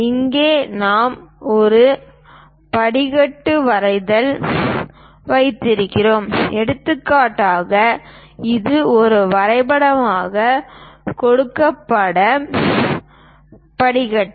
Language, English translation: Tamil, Here we have a staircase drawing for example, this is the staircase given as a drawing